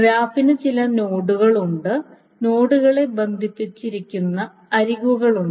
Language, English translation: Malayalam, Essentially graph has certain nodes and there are edges that connect the nodes which mean certain things